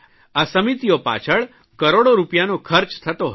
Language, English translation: Gujarati, Crores of rupees would be spent on these committees